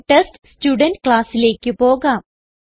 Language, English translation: Malayalam, Let us go to the TestStudent class